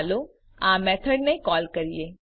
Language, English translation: Gujarati, let us call this method